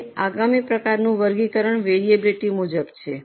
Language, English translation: Gujarati, Now the next type of classification is as per variability